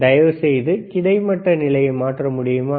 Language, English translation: Tamil, cCan you change the horizontal position please,